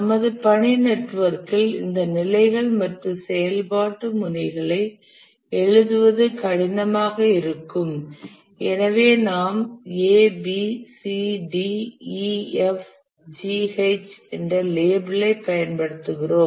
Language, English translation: Tamil, In our task network it will be difficult to write all these labels on the activity nodes and therefore we use the label A, B, C, D, E, F, G, H